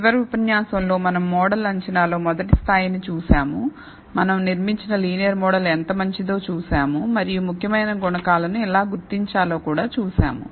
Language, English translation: Telugu, In the last lecture, we looked at the first level of model assessment, we saw how good is a linear model that we built and we also saw, how to identify the significant coefficients in the linear model